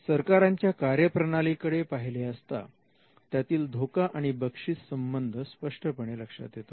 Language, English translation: Marathi, If you see the functions of the state, there are clear risk reward relationships